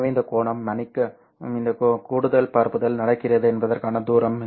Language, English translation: Tamil, So this angle is, sorry, distance over which extra propagation is happening